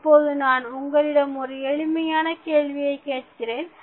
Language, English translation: Tamil, Now, let us ask one simple question